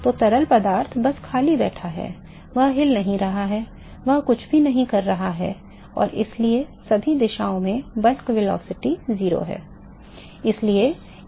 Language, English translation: Hindi, The fluid which is just sitting idle, it is not moving it is not doing anything and therefore, the bulk velocity is 0 in all directions